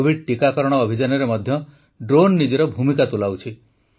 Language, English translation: Odia, Drones are also playing their role in the Covid vaccine campaign